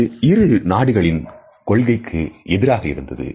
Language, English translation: Tamil, It went against the policies of both countries